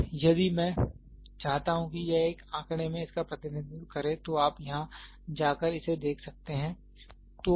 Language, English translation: Hindi, Now, if I want it to represent this in a figure, so you can go and look into it here